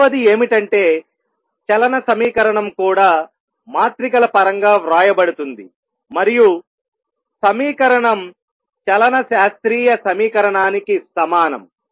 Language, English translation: Telugu, Number 2 equation of motion is also written in terms of matrices and the equation is the same as classical equation of motion